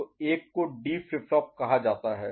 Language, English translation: Hindi, So, one is called D flip flop